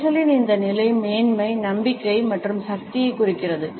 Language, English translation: Tamil, This position of hands indicates superiority, confidence and power